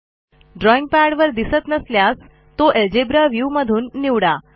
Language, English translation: Marathi, If it is not visible from the drawing pad please select it from the algebra view